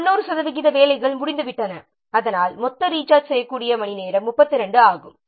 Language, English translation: Tamil, So, because 90% of the work have been done and it will show that the total rechargeable hour is 32